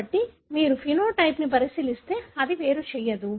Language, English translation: Telugu, So, if you look into the phenotype, it doesn’t segregate